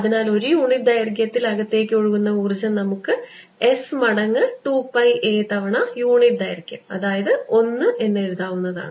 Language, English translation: Malayalam, lets write this: flowing in is going to be s times two pi a times the unit length, which is one